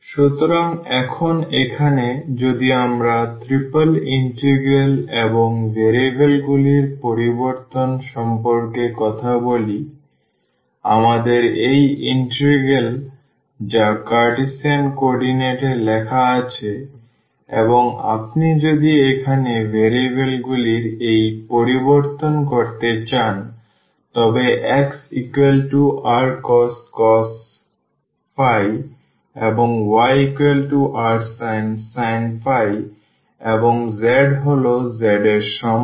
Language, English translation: Bengali, So, here now if we talk about the triple integral and the change of variables; so, we have this integral which is written in the Cartesian coordinates and if you want to make this change of variables here x is equal to r cos phi y is equal to r sin phi and z is equal to z